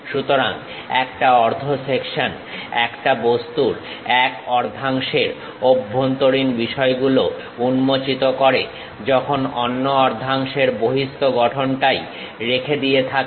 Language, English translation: Bengali, So, a half section exposes the interior of one half of an object while retaining the exterior of the other half